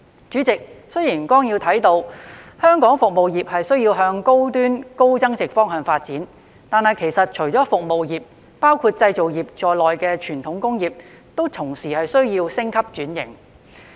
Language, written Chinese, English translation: Cantonese, 主席，雖然綱要提到，香港服務業需向高端、高增值方向發展，但其實除了服務業，包括製造業在內的傳統工業，同時需要升級轉型。, President although it is mentioned in the Plan that Hong Kong needs to promote its service industries for high - end and high value - added development apart from service industries traditional industries including manufacturing industries also need to upgrade and restructure at the same time